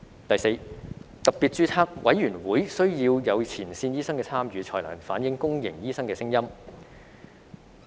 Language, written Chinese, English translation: Cantonese, 第四，特別註冊委員會需要有前線醫生的參與，才能反映公營醫生的聲音。, Fourth the Special Registration Committee should comprise frontline doctors so as to reflect the voice of doctors working in public hospitals